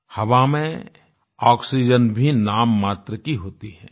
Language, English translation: Hindi, Oxygen in the air is also at a miniscule level